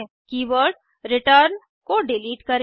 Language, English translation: Hindi, Delete the keyword return